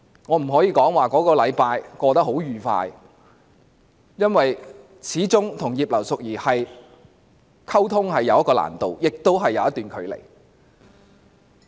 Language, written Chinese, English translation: Cantonese, 我不能說這一星期過得很愉快，因為我與葉劉淑儀議員溝通始終有一定的難度，亦有一段距離。, I would not say that it was a very pleasant journey lasting a week because I found it rather difficult to communicate with Mrs Regina IP as there was a huge gap between us